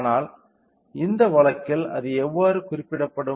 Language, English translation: Tamil, But, in this case how it will be represented